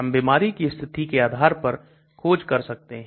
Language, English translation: Hindi, We can do search based on disease conditions